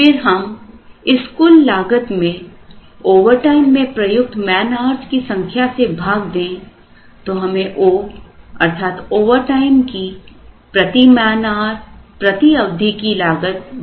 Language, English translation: Hindi, Then, they are evaluated or computed and that total cost divided by number of man hours used in overtime would give us this o which is this per period per man hour cost for overtime